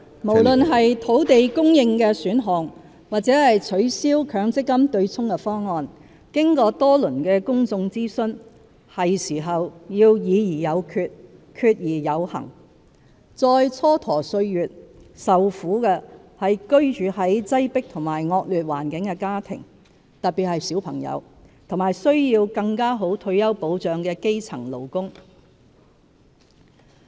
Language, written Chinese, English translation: Cantonese, 無論是土地供應的選項，或取消強積金"對沖"的方案，經過多輪的公眾諮詢，是時候要"議而有決、決而有行"，再蹉跎歲月，受苦的是居住在擠迫和惡劣環境的家庭，特別是小朋友，以及需要更好退休保障的基層勞工。, whether on land supply options or abolition of the offsetting arrangement under the Mandatory Provident Fund MPF System . It is high time for us to decide and proceed after discussions; since procrastination will just bring greater sufferings to families living in a poor and overcrowded environment in particular the children and to grass - roots workers who need better retirement protection